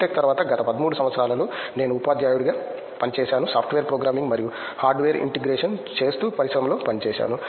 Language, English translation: Telugu, Tech I worked as a teacher, I worked in the industry doing software programming and hardware integration